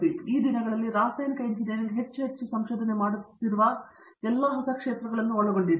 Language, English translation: Kannada, So these are all exciting new areas where chemical engineering is doing more and more research these days